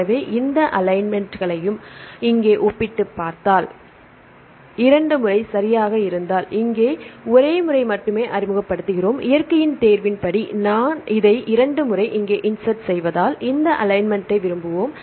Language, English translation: Tamil, So, if you compare these 2 alignments here, we introduce only once here if it is twice right as per the selection by nature, right we can this will prefer this alignment done this one because we insert 2 times here